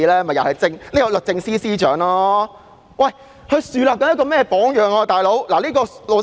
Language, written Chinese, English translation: Cantonese, 不就是因為律政司司長樹立了一個不一般的榜樣。, It is because the Secretary for Justice has set an extraordinary example